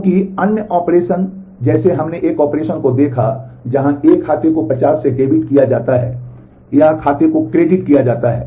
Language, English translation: Hindi, Because other operations like we saw an operation where an account is debited by 50 or account is credited